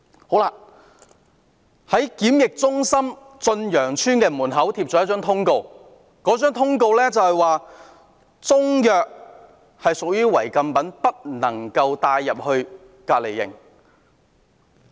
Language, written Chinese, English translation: Cantonese, 駿洋邨檢疫中心門外張貼了一張通告，說中藥屬於違禁品，不能帶進隔離營。, A notice posted at the entrance of the quarantine centre at Chun Yeung Estate says that Chinese medicines are prohibited items that must not be brought into the quarantine centre